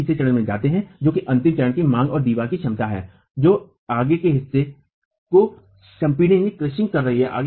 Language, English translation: Hindi, We go to the third stage which is the ultimate stage of the demand and the capacity of the wall which is toe crushing itself